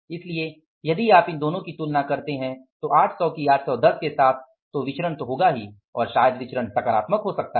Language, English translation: Hindi, So, if you compare, means these two 800 with the 810, variances are, means ought to be there and maybe the variances can be positive